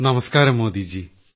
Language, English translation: Malayalam, Namaste Modi ji